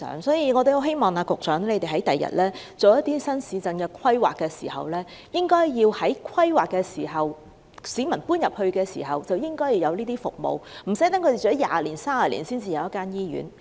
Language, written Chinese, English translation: Cantonese, 所以，我很希望局長未來就新市鎮進行規劃時，應該在規劃階段及市民遷往該處時便提供有關服務，讓市民無需居住了20年或30年後才有一間醫院。, So I strongly hope that when drawing up planning for new towns in the future the Secretary can incorporate the relevant services at the stage of planning formulation and relocation of people so that people do not have to wait for 20 or 30 years in the area they live before they are provided with a hospital . In our view the specialist services provided by NLH are inadequate